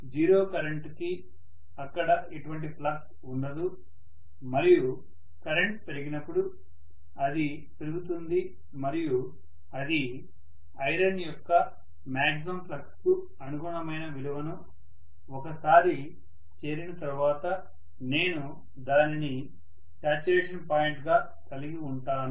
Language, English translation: Telugu, For 0 current, there will not be any flux and for increasing current, it is going to increase and once it reaches whatever is the value which is responding to the maximum flux that can be encountered by this iron, I am going to have that as the saturation point, right